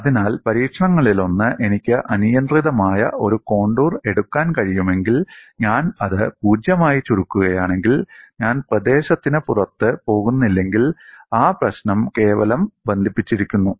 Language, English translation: Malayalam, So, one of the tests is, if I am able to take an arbitrary contour and if I shrink it 0, if I do not go out of the region, then that problem is simply connected; otherwise, the domain is multiply connected